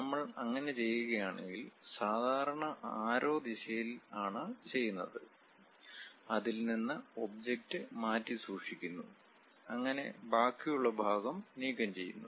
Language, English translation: Malayalam, And if we do that, usual representation is in the direction of arrows; we keep the object away from that remove the remaining portion